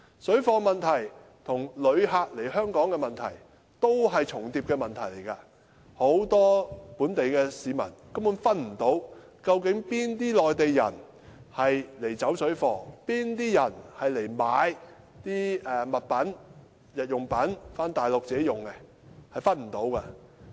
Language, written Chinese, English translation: Cantonese, 水貨問題與旅客來港的問題是互相重疊，很多本地市民根本分辨不出，哪些內地人來"走水貨"，哪些人來買日用品回內地自用。, The parallel trading problem and the problem of visitors to Hong Kong are overlapping as many local people just cannot tell which Mainlanders come to Hong Kong for parallel trading and which Mainlanders come here to buy daily necessities for their own use